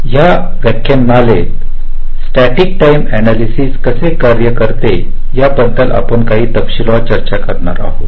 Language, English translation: Marathi, in this lecture we shall be discussing in some detail how this static timing analysis works